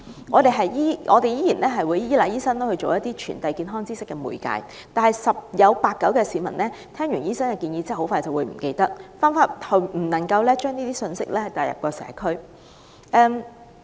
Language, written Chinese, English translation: Cantonese, 我們仍須依賴醫生充當傳遞健康知識的媒介，但十有八九的市民在聽罷醫生的建議後迅即忘記，不能把相關信息帶入社區。, When it comes to the passing on of medical knowledge we still have to rely on doctors but most people will soon forget the medical advice from their doctors and these health messages cannot be brought to the community